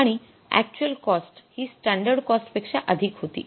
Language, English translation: Marathi, The actual cost was more than the standard cost